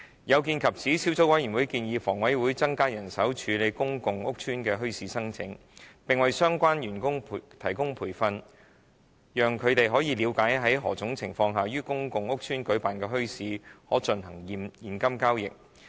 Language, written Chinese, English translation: Cantonese, 有見及此，小組委員會建議房委會增加人手處理公共屋邨的墟市申請，並為相關員工提供培訓，讓他們了解在何種情況下，於公共屋邨舉辦的墟市可進行現金交易。, In view of that the Subcommittee recommends that HA should increase its manpower to handle bazaar applications in PRH estates and provide training to its staff regarding the circumstances under which cash transactions will be allowed at bazaars held in PRH estates